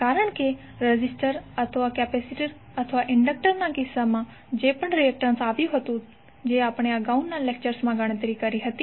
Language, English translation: Gujarati, Because in case of resistor or capacitor or inductor, whatever the reactance is which we calculated in previous lectures